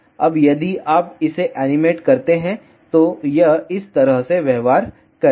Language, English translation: Hindi, Now, if you animate this, this is how it will behave